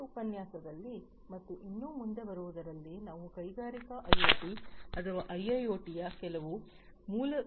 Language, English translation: Kannada, In this lecture and few others to follow, we will be going through some of the basic concepts of industrial IoT or IIoT